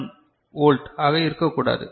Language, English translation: Tamil, 1 volt is not like that